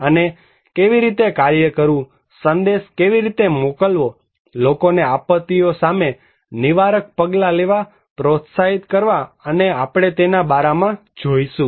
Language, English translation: Gujarati, And how to work on, how to send a message, encourage people to take preventive actions against disasters and that we will look into so